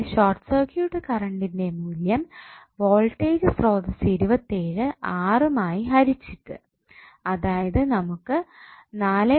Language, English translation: Malayalam, Here the short circuit current value would be that is the voltage source 27 divided by 6 so what you got is 4